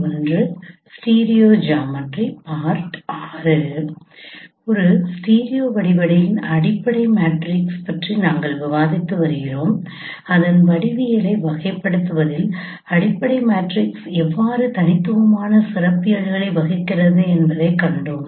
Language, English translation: Tamil, We are discussing about fundamental matrix of a stereo geometry and we have seen how fundamental matrix plays a very distinctive role in characterizing the its geometry